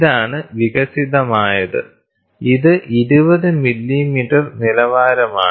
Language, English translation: Malayalam, This is the developed one, this is a standard of 20 millimeters